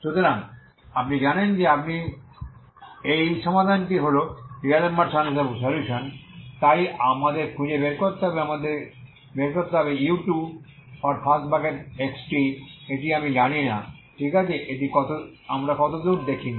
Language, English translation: Bengali, So you know that you know this solution is D'Alembert's solutionso we need to find we need to find u2( x ,t ) this I do not know, okay this we have not seen so far